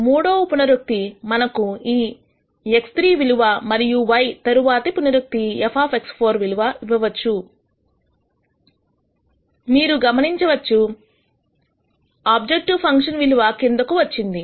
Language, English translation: Telugu, The third iteration maybe gives us this X 3 and then the next iteration gives you an f X 4 value which is this and you can notice that the objective function value has come down